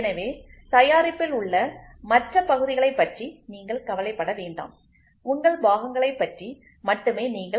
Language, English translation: Tamil, So, you do not worry about rest of the parts in the product, you worry only about your part